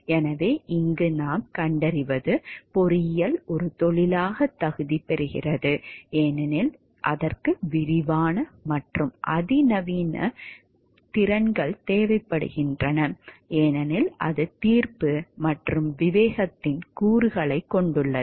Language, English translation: Tamil, So, what we find over here engineering qualifies as a profession, because it requires extensive and sophisticated skills, because it has a components of judgment and discretion also involved in it